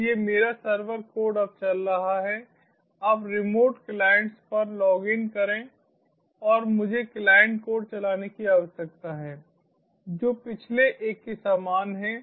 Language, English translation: Hindi, now login to the remote client and i need to run the client code, which is the same as the previous one